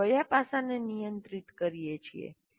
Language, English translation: Gujarati, What aspect are we regulating